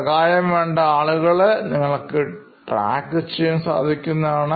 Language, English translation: Malayalam, So this way you are actually tracking somebody who needs help